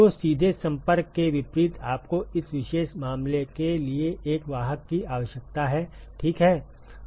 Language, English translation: Hindi, So, unlike in direct contact you need a carrier for this particular case ok